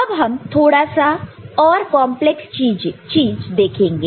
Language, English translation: Hindi, So, now we look at little bit more complex thing